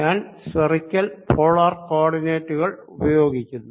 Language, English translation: Malayalam, i am going to use spherical polar co ordinates